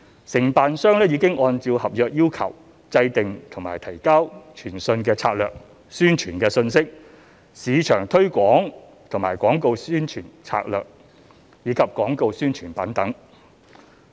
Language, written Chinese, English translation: Cantonese, 承辦商已按照合約要求制訂和提交傳訊策略、宣傳信息、市場推廣和廣告宣傳策略，以及廣告宣傳品等。, A communications strategy messaging a marketing and advertising plan and advertising collaterals were developed and submitted by the contractor in accordance with the contract requirements